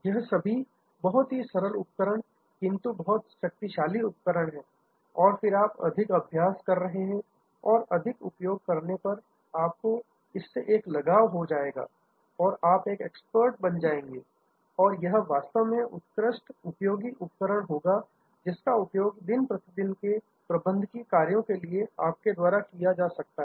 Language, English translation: Hindi, Very simple tool,, but it is a very powerful tool and then more you are practice and more you use you will get a hang of it and you will become an expert and it will really be an excellently useful tool that you can use in your day to day management task